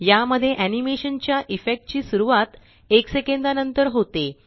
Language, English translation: Marathi, This has the effect of starting the animation after one second